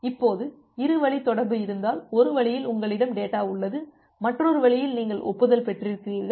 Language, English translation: Tamil, Now because if you have two way communication; in one way you have the data and another way you have the acknowledgement